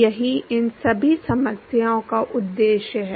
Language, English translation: Hindi, That is the objective for all of these problems